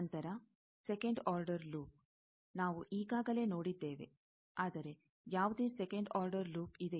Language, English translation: Kannada, Then, second order loop, we have already seen, but is there any second order loop